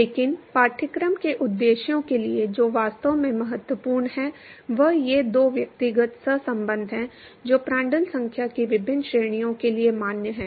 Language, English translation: Hindi, But for the course purposes, what is really important is these two individual correlations which is valid for different ranges of Prandtl number